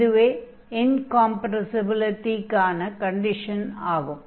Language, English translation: Tamil, So, this is the condition for incompressibility